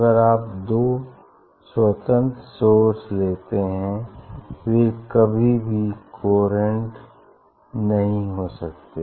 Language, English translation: Hindi, two independent, if you take two independent source of light, they never be coherent; they never be coherent